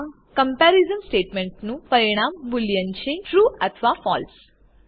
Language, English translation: Gujarati, The result of this comparison statement is a boolean: true or false